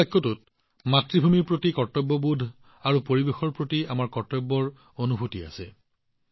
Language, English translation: Assamese, ' There is also a sense of duty for the motherland in this sentence and there is also a feeling of our duty for the environment